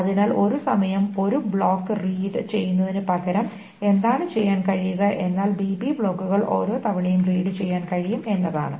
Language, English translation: Malayalam, So then instead of reading one block at a time, what can be done is that BB blocks can be read each time